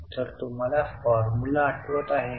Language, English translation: Marathi, Now what is the formula do you remember